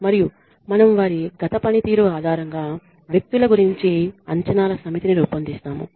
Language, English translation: Telugu, And we formulate a set of expectations about people based on their past performance